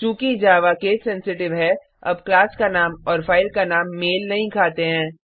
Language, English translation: Hindi, Since Java is case sensitive, now the class name and file name do not match